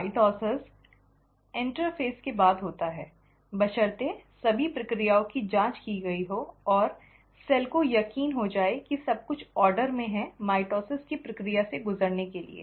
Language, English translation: Hindi, Mitosis follows right after a interphase, provided all the processes have been checked and the cell is convinced that everything is in order to undergo the process of mitosis